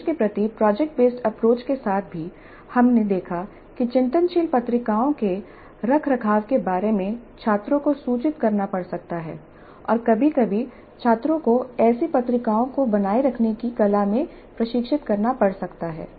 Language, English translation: Hindi, And some of these issues were discussed in the earlier modules also, even with project based approach to instruction, we saw that reflective journals maintenance may have to be intimated to the students and sometimes students may have to be trained in the art of maintaining such journals